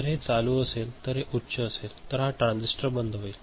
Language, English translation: Marathi, So, if this is on, this is high then this transistor will be off